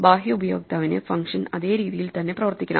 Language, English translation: Malayalam, To the external user, function must behave exactly the same way